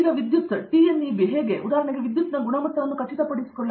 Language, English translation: Kannada, Now, how does electrical TNEB, for example, ensure the quality of power, right